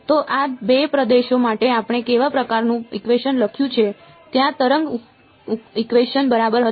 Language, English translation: Gujarati, So, what kind of equation did we write for these 2 regions there were the wave equation right